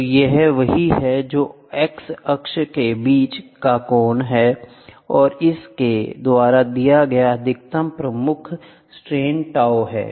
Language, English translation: Hindi, So, this is what is tau the angle between the x axis and the maximum principal stress is given by this is tau